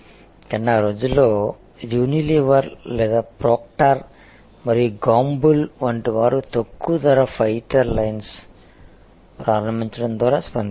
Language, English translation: Telugu, But, in those days, people like a Unilever or Proctor and Gamble, they responded with by launching a low price fighter line